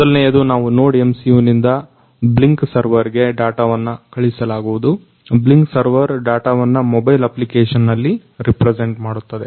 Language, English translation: Kannada, First one is we are sending the data from the NodeMCU to the Blynk server where the Blynk, Blynk server will represent the data in a mobile application